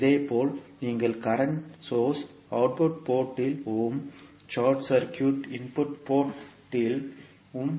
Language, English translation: Tamil, We will connect a current source I 2 at the output port and we will short circuit the input port